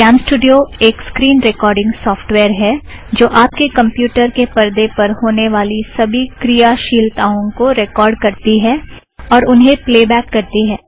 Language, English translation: Hindi, CamStudio is a screen recording software, that records all activities which you see on your computer screen and allows you to play them back later on